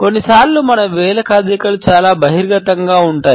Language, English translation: Telugu, Sometimes our finger movements can be very revealing